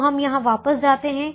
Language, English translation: Hindi, so we go back here